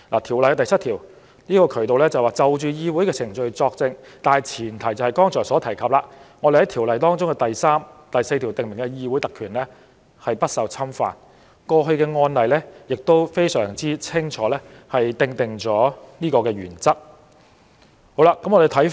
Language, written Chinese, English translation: Cantonese, 《條例》第7條下的渠道是，就議會程序作證的大前提，是《條例》第3條及第4條訂明的議會特權不受侵犯，過去的案例亦清楚確定這個原則。, The channel under section 7 of the Ordinance is that the major premise on giving evidence in respect of any proceedings held before the Council is that parliamentary privilege as stipulated in sections 3 and 4 of the Ordinance is not infringed . Past cases have clearly confirmed this principle